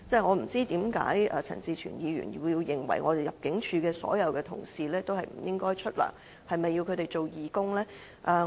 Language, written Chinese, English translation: Cantonese, 我不知道為何陳志全議員認為入境處所有同事也不應該享有薪酬，是否要迫他們做義工呢？, I wonder why Mr CHAN Chi - chuen thinks that ImmD staff should not get any remuneration . Does he want them to work as volunteers?